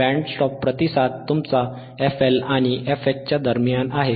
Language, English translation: Marathi, aA band stop response is between f L and your f H right